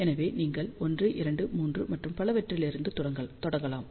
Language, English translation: Tamil, So, you can start from 1 2 3 and so on